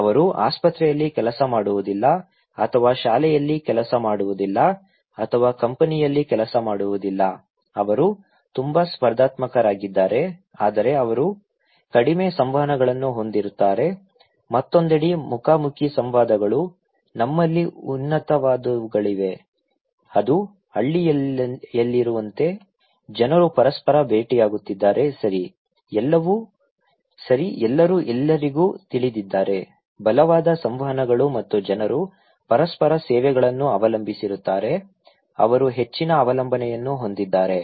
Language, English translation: Kannada, They do not working in a hospital or working in a school or working in a company, they are very competitive but they have very less interactions; face to face interactions on the other hand, we have high one which are people are meeting with each other like in the village okay, everybody knows everyone, very strong interactions and people depend on each other services, they have high dependency